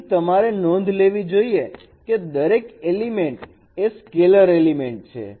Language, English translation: Gujarati, So you should note that each element here is a here each element is a scalar element